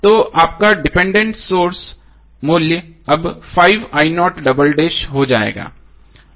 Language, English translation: Hindi, So this is the value of the dependent voltage source